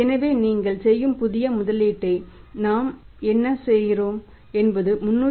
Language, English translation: Tamil, 31 so what we are doing his new level of investment you are working out is 318